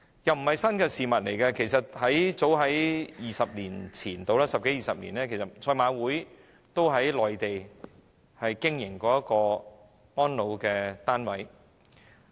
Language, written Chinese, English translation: Cantonese, 這不是新事物，早在大約十多二十年前，香港賽馬會也曾在內地經營安老單位。, This is not any new proposal as about 10 to 20 years ago the Hong Kong Jockey Club also operated some elderly care units on the Mainland